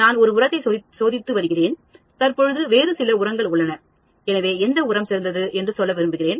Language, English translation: Tamil, I am testing a fertilizer and currently some other fertilizer is there, so I want to say my fertilizer is better